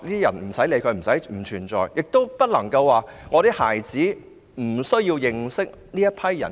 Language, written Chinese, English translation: Cantonese, 此外，家長亦不能認為孩子不需要認識這些人士。, What is more parents must not think that there is no need for their children to know any such people